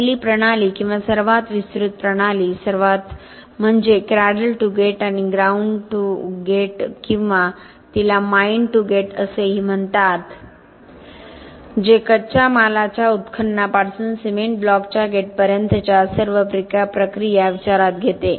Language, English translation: Marathi, The first system or the most elaborate system most complete system is cradle to gate or ground to gate or also called mine to gate which takes into account all processes from the raw material mining to the gate of the cement block